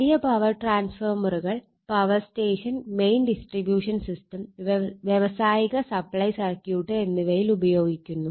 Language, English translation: Malayalam, And large power transformers are used in the power station main distribution system and in industrial supply circuit, right